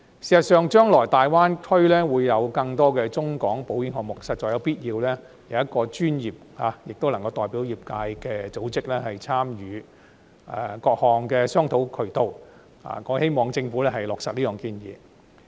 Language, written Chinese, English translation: Cantonese, 事實上，大灣區將來會有更多中港保險項目，實在必要有一個專業並能代表業界的組織參與各項商討渠道，我希望政府落實這項建議。, In fact as there will be more insurance products in the Greater Bay Area covering both the Mainland and Hong Kong in the future it is indeed necessary to have a professional body representing the industry to take part in various discussion channels . I urge the Government to implement this proposal